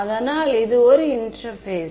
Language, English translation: Tamil, So, this is interface